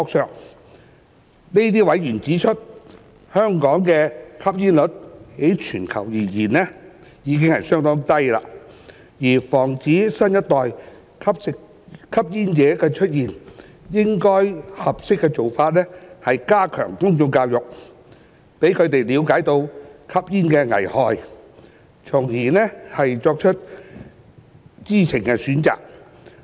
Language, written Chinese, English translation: Cantonese, 這些委員指出，香港的吸煙率在全球而言已是相當低，而防止新一代的吸煙者出現，合適的做法應是加強公眾教育，讓他們了解吸煙的危害，從而作出知情選擇。, These members have pointed out that Hong Kongs smoking prevalence is already among the lowest in the world and a more appropriate way to prevent the emergence of a new generation of smokers is to step up public education on the harm of smoking to enable the public to make an informed choice